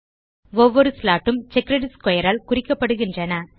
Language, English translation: Tamil, Each slot is represented by a checkered square